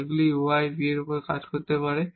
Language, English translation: Bengali, They may be functions of u v